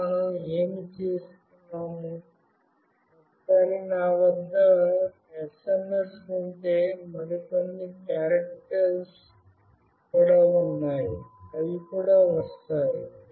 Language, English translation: Telugu, And now what we do, once I have the SMS with me, there are certain other characters also, that comes in